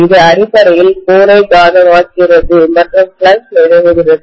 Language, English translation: Tamil, It is magnetizing basically the core and it is establishing the flux